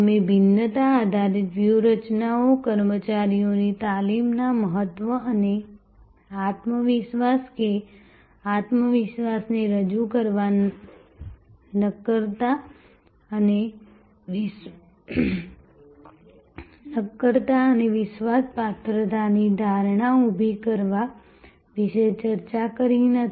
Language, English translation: Gujarati, We did not discuss about in differentiation driven strategies, the importance of personnel training and creating the confidence or projecting the confidence, creating the perception of solidity and dependability